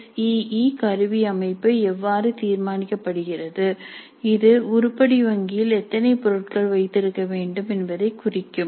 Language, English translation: Tamil, So, this is how the SE instrument structure is determined and that will indicate approximately how many items we should have in the item bank